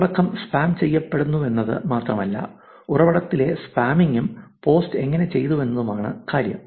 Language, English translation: Malayalam, Now, it is not only just the content which is spammed, it is also the spoofing of the source, how the post was done